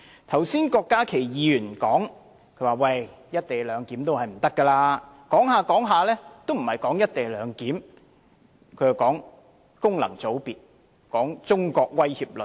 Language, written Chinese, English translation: Cantonese, 剛才郭家麒議員說"一地兩檢"不可行，但他所說的根本不是"一地兩檢"，而是功能界別和中國威脅論。, Just now Dr KWOK Ka - ki dismissed the co - location arrangement as impracticable . But what he talked about was simply not the co - location arrangement but just the ills of functional constituencies and the China Threat Theory